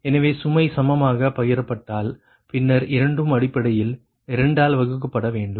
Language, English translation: Tamil, so if and if loads are shared equally, then both will be that essentially divided by two